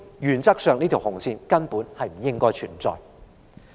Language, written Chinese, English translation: Cantonese, 原則上，這條紅線根本不應該存在。, In principle this red line should not exist at all